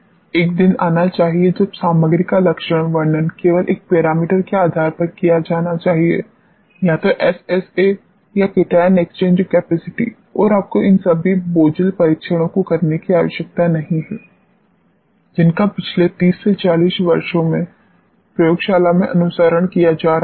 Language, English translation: Hindi, A day should come when the characterization of the material should be done based on only one parameter, either SSA or cation exchange capacity and you need not to do all these cumbersome tests which have being followed in the laboratories since last 30 40 years